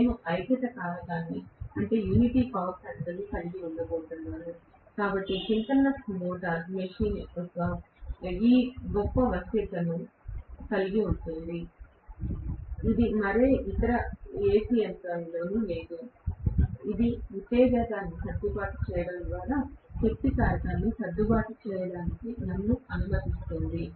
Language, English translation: Telugu, I am going to have unity power factor, so synchronous machine has this greatest flexibility, which is not there in any other AC machine, which will allow me to adjust the power factor by adjusting the excitation